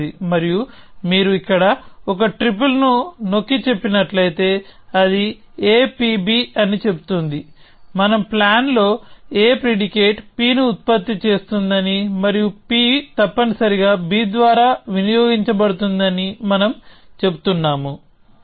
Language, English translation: Telugu, And if you have asserted a triple here which says that a p b, we are saying that in our plan a produces a predicate p and that p is consumed by b essentially